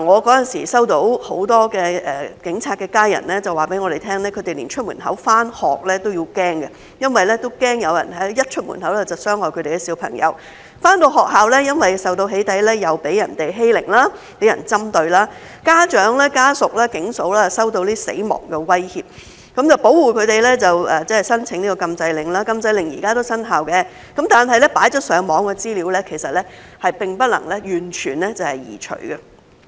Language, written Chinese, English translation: Cantonese, 那時候，很多警察的家人告訴我們，他們連出門口上學都驚，因為驚一出門口就有人傷害他們的小朋友；小朋友回到學校，因為受到"起底"，又被人欺凌、針對；家長、家屬、"警嫂"收到死亡威脅，保護他們就要申請禁制令，雖然禁制令現時也生效，但已放上網的資料並沒有完全移除。, At that time many family members of police officers told us that they did not dare bringing their children to school for fear that someone would hurt their children as soon as they left home . Some children were bullied and targeted at school because they had been doxxed . The parents family members and wives of some police officers received death threats